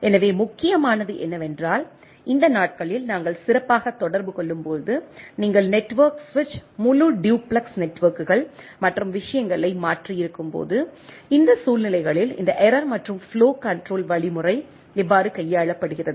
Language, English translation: Tamil, So, what is important, when we communicate specially these days, when you have switched network switch full duplex networks and things that the to, how this error and flow control mechanism are handled in this scenarios right